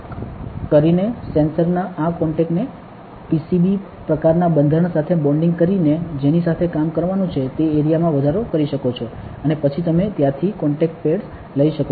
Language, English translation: Gujarati, So, you can increase the area that you have to work with by bonding these contacts of the sensors on to a PCB kind of structure using a technique called wire bonding and then you can take the contact pads from there